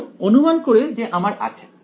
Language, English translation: Bengali, So, supposing I have